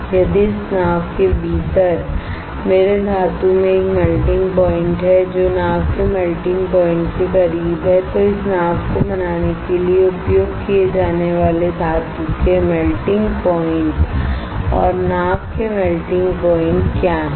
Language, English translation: Hindi, If my metal right within this boat has a melting point which is close to the melting point of the boat what is melting point of the boat melting point of the metal that is used to form this boat